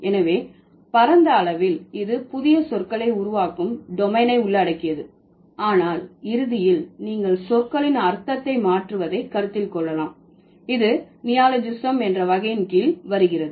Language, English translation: Tamil, So, broadly it covers the domain of creation of new words, but eventually you may also consider the changing of meaning of words that is also coming under the category of creation of like in the category of neologism